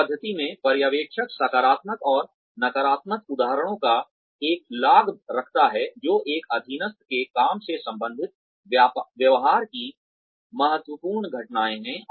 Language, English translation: Hindi, In this method, the supervisor keeps a log of positive and negative examples, which is the critical incidents of a subordinate